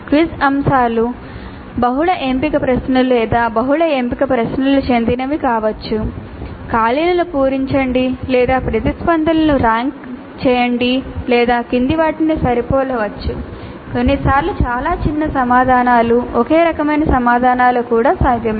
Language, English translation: Telugu, The quiz items can belong to multiple choice questions or multiple select questions, fill in the blanks or rank order the responses or match the following, sometimes even very short answers, one single line kind of answers are also possible